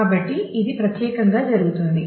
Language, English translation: Telugu, So, this is what happens particularly